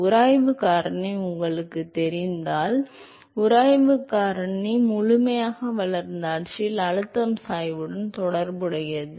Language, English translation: Tamil, If you know friction factor, friction factor is actually related to the pressure gradient in the fully developed regime